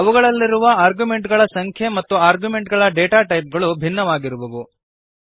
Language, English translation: Kannada, The number of arguments and the data type of the arguments will be different